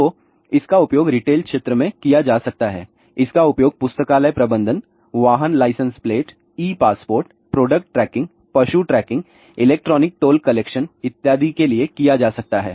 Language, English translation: Hindi, So, it can be used in the retail, it can be used for library management, vehicle license plate, E passport, product tracking, animal tracking, electronic toll collection and so on